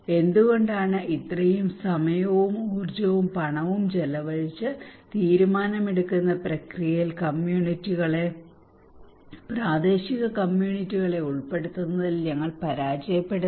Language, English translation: Malayalam, Why after spending so much of time, energy and money, we fail to incorporate communities local communities into the decision making process